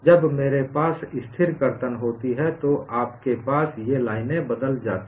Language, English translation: Hindi, When I have constant shear, you have these lines changed